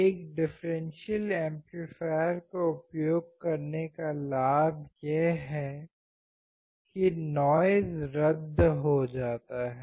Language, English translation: Hindi, The advantage of using a differential amplifier is that the noise gets cancelled out